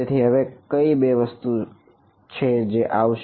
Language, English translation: Gujarati, So, what are the two things that will come